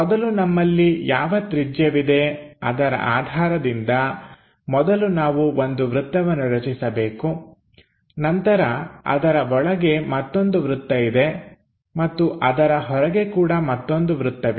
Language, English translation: Kannada, So, whatever the radius we have with that first we have to make a circle, then internally there is one more circle and outside also there is one more circle